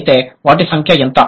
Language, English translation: Telugu, What is the number